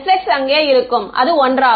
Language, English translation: Tamil, S x will be there which is one